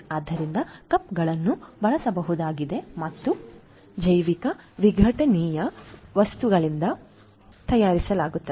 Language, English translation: Kannada, So, the cups are usable and made with biodegradable material